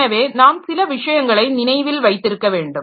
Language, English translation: Tamil, So, certain things that we need to remember